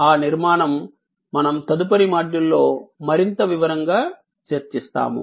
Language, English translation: Telugu, That is the structure that, we will take up in more detail in the next module